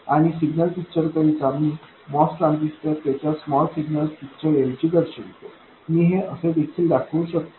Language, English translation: Marathi, And the signal picture I will show a Moss transistor instead of its small signal picture, I could also show that